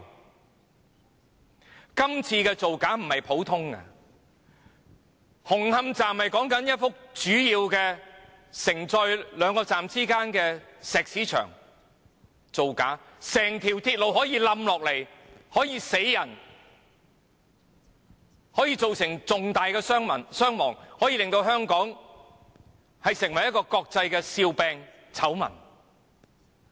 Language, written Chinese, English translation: Cantonese, 這次並非普通的造假，因為牽涉的是紅磡站內一幅主要承載兩個站之間的石屎牆，有可能導致整條鐵路崩塌，造成嚴重人命傷亡，並令香港成為國際笑柄和醜聞。, The present incident does not involve a common falsification . It involves a major concrete wall at Hung Hom Station supporting two stations and may lead to the collapse of the entire railway causing serious casualties . Worse still Hong Kong will become an international laughingstock and scandal